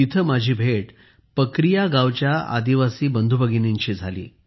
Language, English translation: Marathi, There I met tribal brothers and sisters of Pakaria village